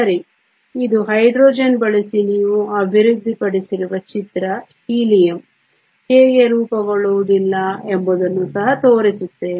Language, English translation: Kannada, Ok So, this is the picture you have developed using Hydrogen we also showed how Helium will not formed